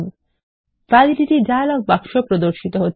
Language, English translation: Bengali, The Validity dialog box appears